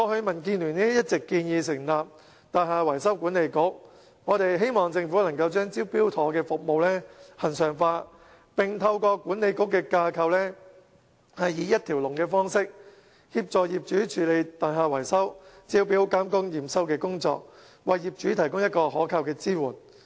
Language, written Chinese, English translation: Cantonese, 民建聯過去一直建議成立"大廈維修管理局"，我們希望政府能把"招標妥"服務恆常化，並透過管理局的架構以一條龍方式，協助業主處理大廈維修招標和驗收工作，為業主提供可靠的支援。, DAB has long been advocating the establishment of a Building Management and Maintenance Authority in the hope that the Government can regularize the Smart Tender programme and assist owners by offering one stop support in terms of tendering inspection and acceptance of works relating to building repairs with a view to providing reliable assistance to owners under the structure of the Authority